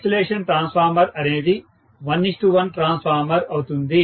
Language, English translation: Telugu, The isolation transformer, all it does is it will be a 1 is to 1 transformer